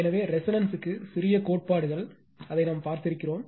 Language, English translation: Tamil, So, far what whatever little bit theories are there for resonance we have seen it